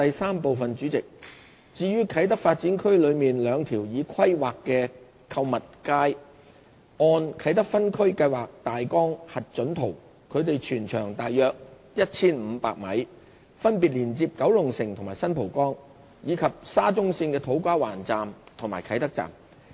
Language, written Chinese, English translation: Cantonese, 三主席，至於啟德發展區內兩條已規劃的地下購物街，按"啟德分區計劃大綱核准圖"，它們全長約 1,500 米，分別連接九龍城和新蒲崗，以及沙中線的土瓜灣站和啟德站。, 3 President as for the two planned underground shopping streets in the Kai Tak Development KTD according to the approved Kai Tak Outline Zoning Plan they are about 1 500 m long linking with Kowloon City and San Po Kong respectively and connecting to To Kwa Wan Station and Kai Tak Station of the MTR Shatin to Central Link